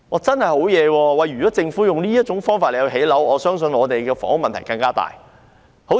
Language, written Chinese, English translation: Cantonese, 真是厲害，如果政府用這種方法來建屋，我相信房屋問題會更嚴重。, It is really shocking . I believe that the housing problem would be even more serious if the Government adopts such an approach for housing development